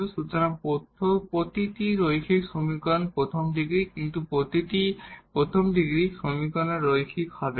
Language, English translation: Bengali, So, every linear equation is of first degree, but not every first degree equation will be a linear